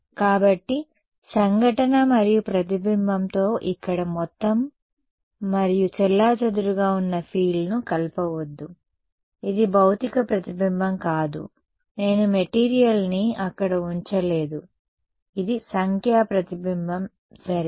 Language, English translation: Telugu, So, do not mix up total and scattered field here with the incident and reflected, this is not a physical reflection, I am not put a material over there right, this is a numerical reflection ok